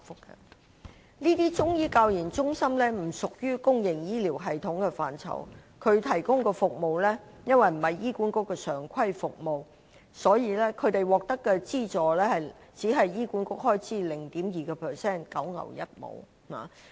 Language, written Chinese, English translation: Cantonese, 這些中醫教研中心不屬於公營醫療系統的範疇，所提供的服務因為不是醫管局的常規服務，所以獲得的資助只是醫管局開支的 0.2%， 實屬九牛一毛。, These CMCTRs are not a part of the public health care system . Since their services are not regarded as the regular services of HA their amount of subsidy is as minimal as 0.2 % of HAs expenditure and is just a drop in the bucket